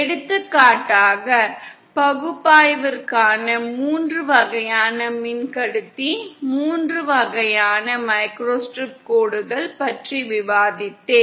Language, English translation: Tamil, For example, so I was discussing the three types of conductor, three types of microstrip lines for analysis